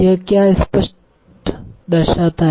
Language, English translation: Hindi, So what does it indicate